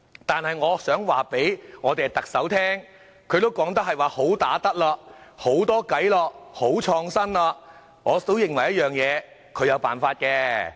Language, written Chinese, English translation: Cantonese, 可是，我想告訴特首，她說自己"好打得"、"好多計"、"好創新"，我認為她總有辦法的。, However since the Chief Executive claimed that she is a fighter full of ideas and innovation I believe she will always have a solution